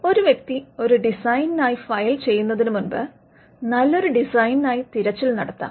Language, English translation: Malayalam, Before a person files for a design, the person can do a design search